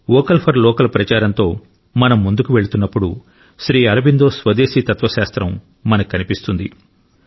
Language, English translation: Telugu, Just as at present when we are moving forward with the campaign 'Vocal for Local', Sri Aurobindo's philosophy of Swadeshi shows us the path